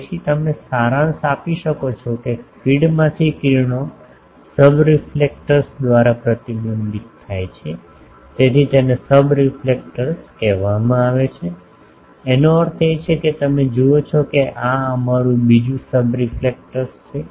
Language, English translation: Gujarati, So, you can summarise that rays from feed gets reflected by the subreflector so, this one is called subreflector; that means you see that our this is another subreflector